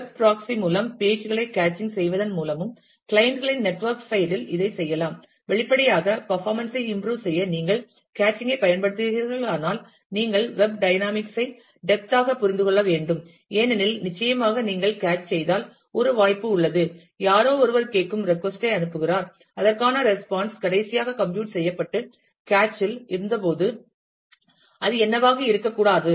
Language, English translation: Tamil, It can be done at the clients network side also by caching pages by web proxy; obviously, if you are using caching to improve performance, you will have to understand lot more of the web dynamics in depth because, certainly if you cache then there is a possibility, that somebody is asking is sending a request for which, the response would not be the same as what it was, when the last time the response was computed and cached